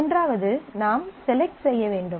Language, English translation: Tamil, In the third, that you do is do a select